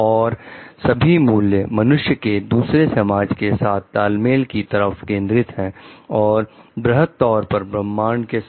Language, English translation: Hindi, And all the values focused towards the synergy of the person with the others in the society and to the cosmos at large